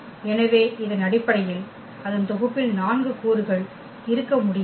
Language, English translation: Tamil, So, this cannot have the basis cannot have 4 elements in its set ok